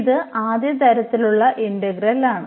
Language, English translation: Malayalam, So, this is the integral of first kind